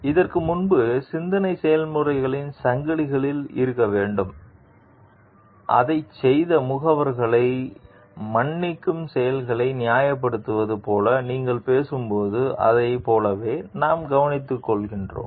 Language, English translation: Tamil, We need to do have a chain of thought process before, we take care of like when you are talking of like justifying the acts which excusing the agents who performed it